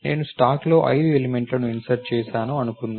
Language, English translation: Telugu, Let us say I have inserted 5 elements into the stack